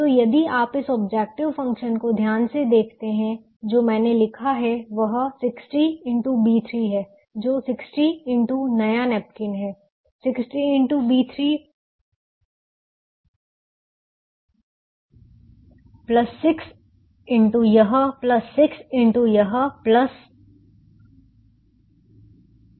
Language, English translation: Hindi, so if you see this objective functions carefully, what i have written is sixty into b three, which is sixty into the new napkins, sixty into b three plus sixty into this plus sixty into this ten plus twenty plus ten